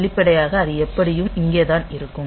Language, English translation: Tamil, So, explicitly, but it is just here anyway